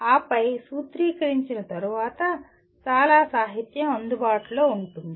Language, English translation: Telugu, And then having formulated, there would be lot of literature available